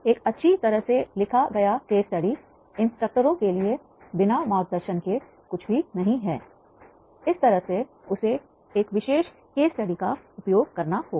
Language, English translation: Hindi, A well written case study is nothing without equally well written guidance for the instructors, that is how he has to use that particular case study